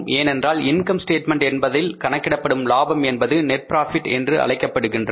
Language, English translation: Tamil, Because profit calculated in the income statement is called as the net profit